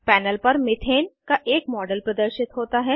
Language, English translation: Hindi, A model of Methane appears on the panel